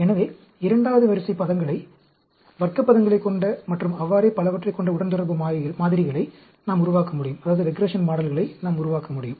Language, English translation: Tamil, So, we can develop regression models which has second order terms, which has a square terms, and so on, actually